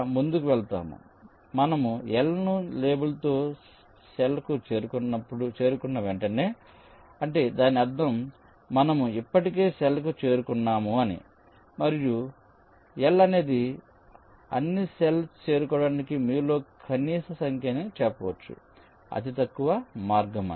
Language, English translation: Telugu, in this way you proceed as soon as you reach the cell with label l, which means we have already reached the cell and l is the minimum number of, you can say, cells you have to traverse to reach there